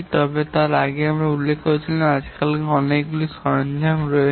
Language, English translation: Bengali, But then as I was mentioning earlier, nowadays there are many tools